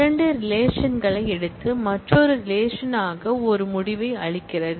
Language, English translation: Tamil, Takes two relations and returns a result as another relation